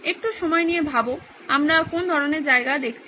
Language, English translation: Bengali, Take a moment to think about what kind of place are we looking at